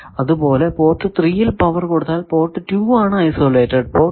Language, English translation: Malayalam, So, if you give power at port 2, port 3 is an isolated port